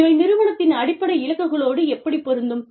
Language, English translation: Tamil, How does this fit, into the strategic goals of the organization